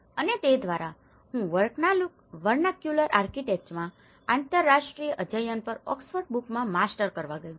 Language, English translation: Gujarati, And through that, I went to master to do my Masters in Oxford Brookes on International Studies in Vernacular Architecture